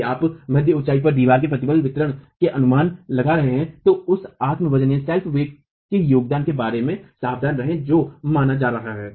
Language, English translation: Hindi, If you are making the estimates of the stress distribution in the wall at the mid height, then be careful about the contribution of the self weight that is being considered